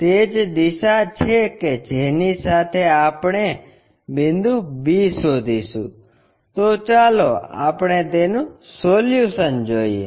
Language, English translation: Gujarati, That is the direction along which we will locate the point b I am sorry, let us look at the solution